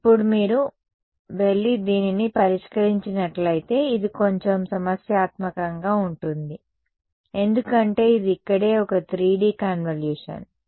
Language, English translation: Telugu, Now, if you were to go and solve this as it is, its going to be little problematic because this is a 3D convolution over here right